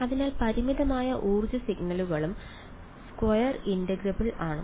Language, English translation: Malayalam, So, finite energy signals also they are square integrable